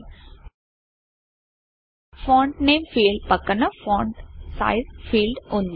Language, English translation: Telugu, Beside the Font Name field , we have the Font Size field